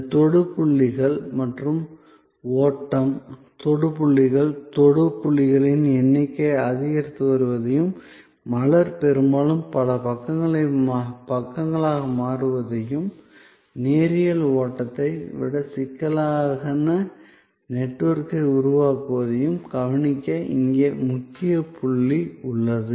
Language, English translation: Tamil, So, the key point here to notices that this touch points and the flow, the touch points, the number of touch points are increasing and the flower are often becoming multi lateral and creating a complex network rather than a linear flow